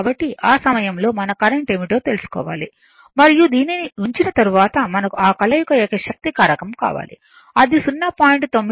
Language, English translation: Telugu, So, at the time we have to find out what is the current right and after putting this we want that combined power factor , should be 0